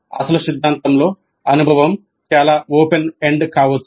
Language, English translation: Telugu, So in the original theory the experience can be quite open ended